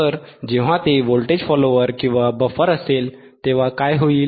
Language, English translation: Marathi, So, when it is a voltage follower or buffer, what will happen